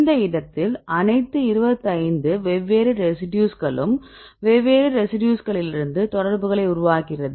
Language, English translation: Tamil, In this case all the 25 different residues we are making the contacts from different residues